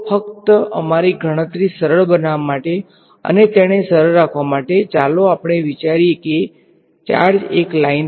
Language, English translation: Gujarati, So, just to make our calculation simple let us pretend that the charges are on one line, just to keep it simple